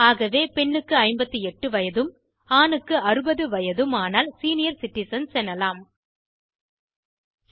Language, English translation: Tamil, So for female it is 58 and for men it is 60 to be considered as senior citizens